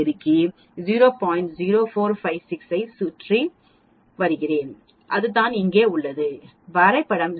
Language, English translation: Tamil, 0456 and that is what we have here the graph gives 0